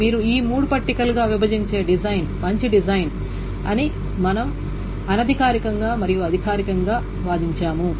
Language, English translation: Telugu, So we have argued both informally and formally that the design where you break this up into these three tables is a better design